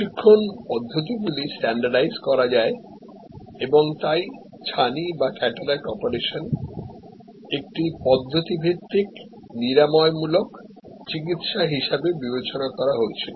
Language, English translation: Bengali, Training procedures could be standardized and cataracts therefore, were surmised as a procedure oriented curative treatment